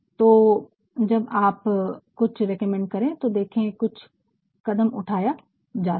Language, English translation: Hindi, So, when you recommend see that this action can be taken